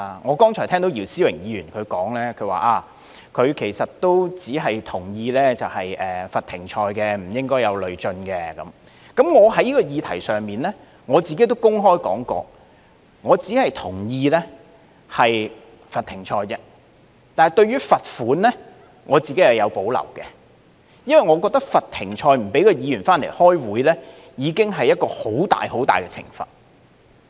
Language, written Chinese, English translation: Cantonese, 我剛才聽到姚思榮議員說，其實他只是同意罰停賽，而不應累進，在這個議題上，我亦曾公開表示，我只是同意罰停賽而已，但對於罰款，我個人是有保留的，因為我認為罰停賽，不讓議員回來開會，已經是一種很大的懲罰。, Just now I heard Mr YIU Si - wing say that he actually agreed to a suspension mechanism only but it should not be implemented on a cumulative basis . On this issue I also once said in public that I only agreed to a suspension mechanism and had personal reservations about the imposition of fines because I thought that suspending a Member from meeting was already a severe punishment